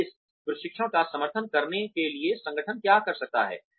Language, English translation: Hindi, And, what the organization can do, in order to support this training